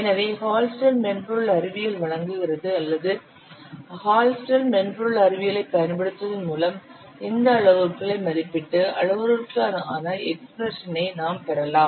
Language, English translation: Tamil, So Hullstead software science provides or by using the HALSTATE software science, you can derive the expressions for these parameters, for estimating these parameters